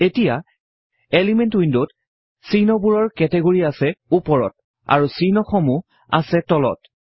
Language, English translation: Assamese, Now the elements window has categories of symbols on the top and symbols at the bottom